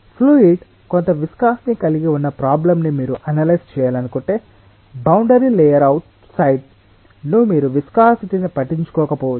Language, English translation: Telugu, if you want to analyze the problem where of course the fluid is having some viscosity, then outside the boundary layer you may not have to care for the viscosity